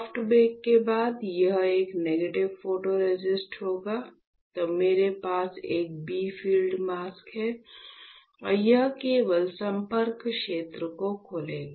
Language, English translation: Hindi, After soft bake, so this one would be a negative photoresist; then I have a mask, which is my bright field mask and it will only open the contact area